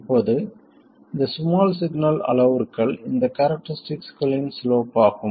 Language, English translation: Tamil, Now these small signal parameters are the slopes of these characteristics